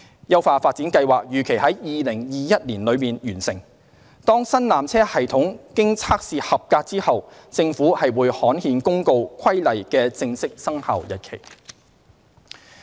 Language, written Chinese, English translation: Cantonese, 優化發展計劃預期於2021年內完成，當新纜車系統經測試合格後，政府會刊憲公告《規例》的正式生效日期。, The upgrading plan is expected to complete in 2021 . After the new peak tramway system passes the tests the Government will gazette the commencement notice for the Regulation